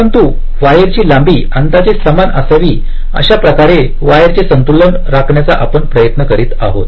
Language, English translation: Marathi, but also, we shall be trying to balance, layout the wires in such a way that the wire lengths will be approximately equal